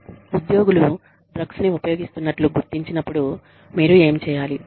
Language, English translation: Telugu, What you do, when employees are found to have been, using drugs